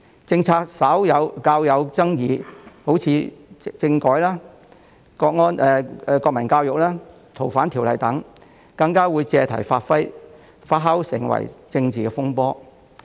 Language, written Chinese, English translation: Cantonese, 政策較有爭議，如政改、國民教育、《逃犯條例》等，更會被借題發揮，發酵成政治風波。, In any event of controversy over a policy such as in the cases of political reform national education and the Fugitive Offenders Ordinance they would even make an issue out of it to stir up political turmoil